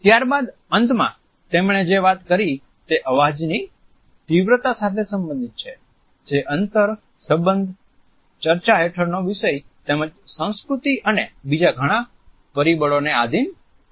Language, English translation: Gujarati, The last dimension he has talked about is related with the loudness of voice which is conditioned by the distance, the relationship, the subject under discussion as well as the culture and several other factors